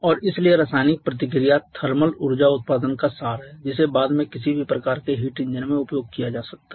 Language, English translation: Hindi, And therefore chemical reaction is the essence of thermal energy production which can subsequently be utilized in any kind of heat engine